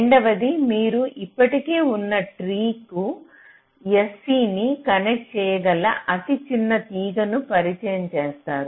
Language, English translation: Telugu, second one says: you introduce the shortest possible wire that can connect s, c to the existing tree